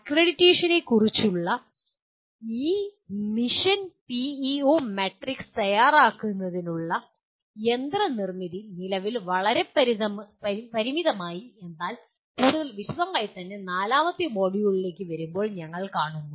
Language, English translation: Malayalam, The mechanics of preparing this Mission PEO matrix while we see in a limited extent in the presently but more elaborately when we come to the fourth module on accreditation